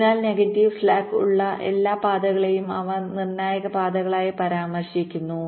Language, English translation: Malayalam, so all paths with a negative slack, they are refer to as critical paths